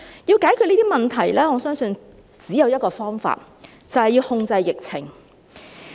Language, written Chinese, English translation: Cantonese, 要解決這些問題，我相信只有一個方法，便是要控制疫情。, In order to resolve these problems I think there is only one method which is to have the epidemic contained